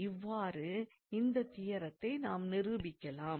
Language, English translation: Tamil, So, let me state that theorem